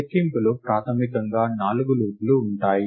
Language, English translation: Telugu, Counting sort basically has four loops